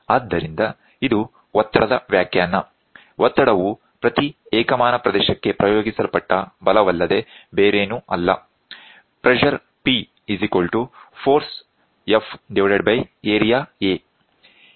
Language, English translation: Kannada, So, this is the definition for pressure, pressure is nothing but force acted per unit area